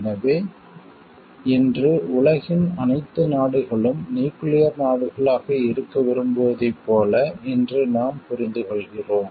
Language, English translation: Tamil, So, like we understand today like all the countries of the world are aspiring to be nuclear states today